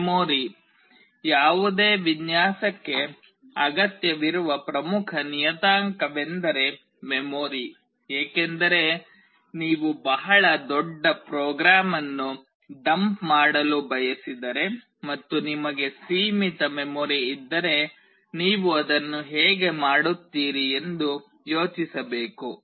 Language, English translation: Kannada, The memory; memory is one of the vital important parameter that is required for any design, because if you want to dump a very large program and you have limited memory you need to think how will you do it